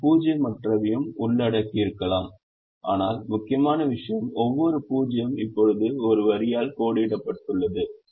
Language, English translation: Tamil, they may have non zero also covered, but the important thing is, every zero is now covered by one line